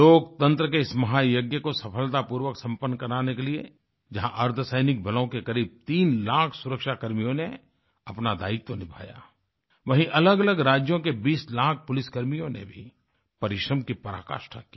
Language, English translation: Hindi, In order to successfully conclude this 'Mahayagya', on the one hand, whereas close to three lakh paramilitary personnel discharged their duty; on the other, 20 lakh Police personnel of various states too, persevered with due diligence